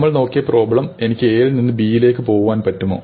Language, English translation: Malayalam, And then of course the problem that we have looked at is a very simple problem; can I get from A to B